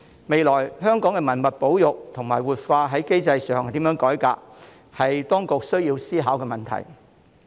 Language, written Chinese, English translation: Cantonese, 未來如何改革香港的文物保育及活化機制，是當局需要思考的問題。, The reform on heritage conservation and revitalization mechanism in Hong Kong is a question for the authorities to ponder on